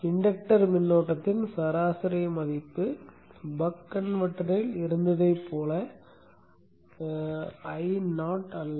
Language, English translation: Tamil, The average value of the inductor current is not I not as it was in the case of the buck converter